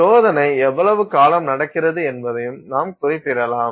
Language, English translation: Tamil, You can also specify how long the test happens